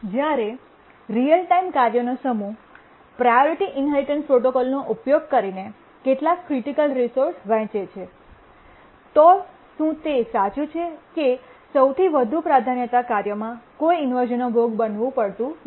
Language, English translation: Gujarati, When a set up real time tasks share certain critical resources using the priority inheritance protocol, is it true that the highest priority task does not suffer any inversions